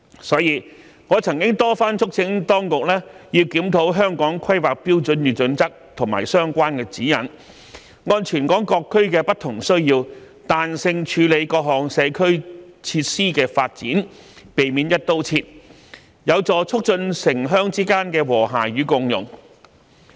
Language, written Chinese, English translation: Cantonese, 所以，我曾多番促請當局要檢討《香港規劃標準與準則》和相關指引，按全港各區的不同需要，彈性處理各項社區設施的發展，避免"一刀切"，有助促進城鄉之間的和諧與共融。, I thus have repeatedly reminded the authorities of the need to review the Hong Kong Planning Standards and Guidelines and the related guidelines flexibly handle the development of different social facilities based on the different needs of various districts in the territory and avoid adopting an across - the - board approach . This can help foster urban - rural symbiosis